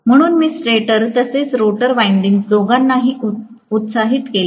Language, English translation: Marathi, So, I have excited both stator as well as rotor windings